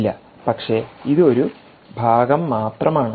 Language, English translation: Malayalam, no, but this is just only one part